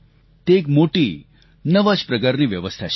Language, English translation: Gujarati, This is a great new system